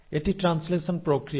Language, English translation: Bengali, So that is the process of translation